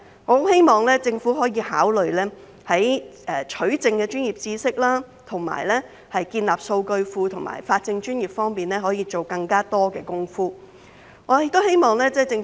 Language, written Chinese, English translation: Cantonese, 我希望政府可以考慮，在取證的專業知識、建立數據庫和法政專業方面多下工夫。, I hope that the Government can consider putting in more efforts by boosting professional knowledge in obtaining evidence database creation and legal profession